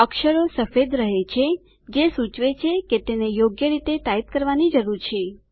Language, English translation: Gujarati, The characters remain white indicating that you need to type it correctly